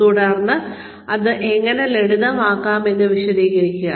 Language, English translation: Malayalam, And explain, how it can be made simpler